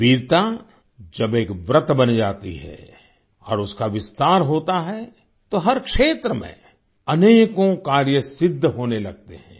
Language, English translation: Hindi, When bravery becomes a vow and it expands, then many feats start getting accomplished in every field